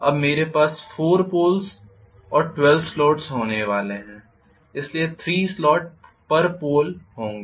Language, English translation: Hindi, Now I am going to have 4 Poles and 12 slots, so there will be 3 slots per Pole